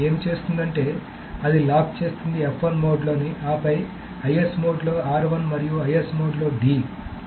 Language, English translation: Telugu, So what it does is that it locks F1 in S mode and then R1 in IS mode and D in I S mode